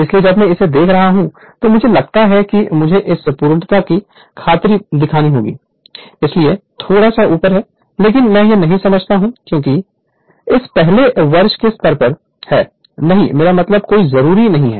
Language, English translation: Hindi, So, when I am showing it I think I have to show it for the sake of completeness I have to show this one, that is why little bit of right up is there, but I am not explaining that right because at this first year level there is no I mean no need